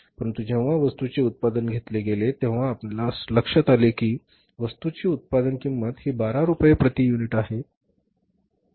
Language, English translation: Marathi, But when we manufactured the product we have found that the total cost of the production is 12 rupees per unit